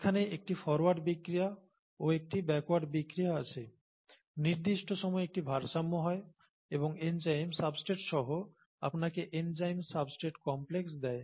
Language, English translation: Bengali, There is a reversible reaction here, forward, there is a forward reaction here, there is a backward reaction here, there is an equilibrium at certain time and enzyme plus substrate gives you the enzyme substrate complex